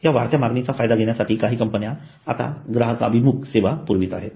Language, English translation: Marathi, To cash in on this increased demand, some firms are now providing customized services